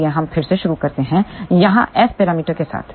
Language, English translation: Hindi, So, we start again with the S parameters over here